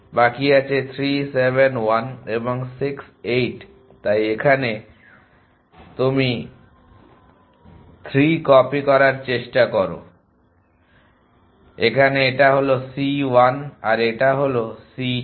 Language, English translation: Bengali, Remaining is 3 7 1 and 6 8 so you try to copy 3 here in to this so this is c 1 in this c 2